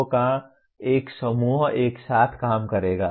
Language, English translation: Hindi, A group of people will work together